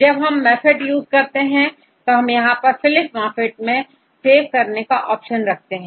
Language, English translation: Hindi, We use MAFFT there is an option to save the file in Phylip format